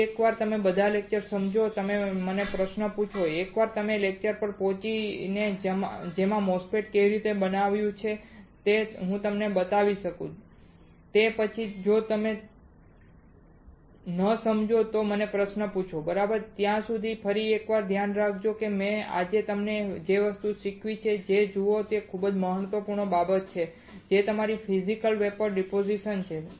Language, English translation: Gujarati, Understand all the lectures once again and you ask me questions once we reach the lecture in which I can show it to you how the MOSFET is fabricated, after that if you do not understand you ask my questions alright, till then you take care once again look at the things that I have taught you today it is very important things which is your physical vapour deposition right